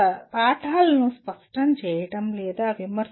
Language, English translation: Telugu, Clarifying or critiquing texts